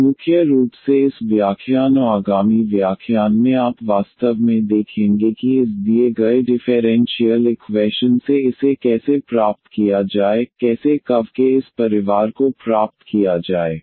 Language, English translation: Hindi, And mainly in this lectures upcoming lectures you will see actually how to find this from this given differential equation, how to get this family of curves